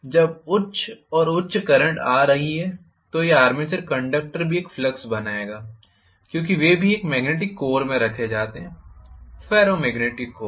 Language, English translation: Hindi, When higher and higher currents are coming, this armature conductors will also create a flux after all they are also placed in a magnetic core, Ferro magnetic core